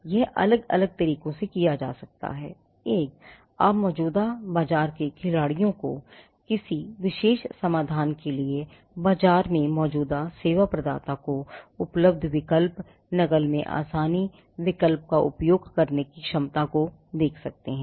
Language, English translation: Hindi, Now, this can be done in different ways; one – you can look at the existing market players, the existing service providers in the market for a particular solution, what are the alternatives available, ease of imitation, you can look at the ability to use alternatives